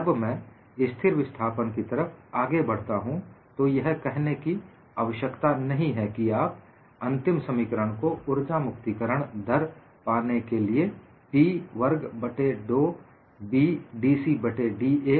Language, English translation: Hindi, When I move in for constant displacement, it is needless to say that you have to get the final expression of energy release rate as P square 2B dC by da